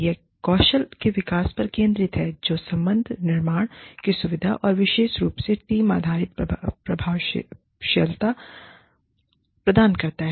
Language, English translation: Hindi, It focuses on, development of skills, that facilitate relationship building, and specifically, team based effectiveness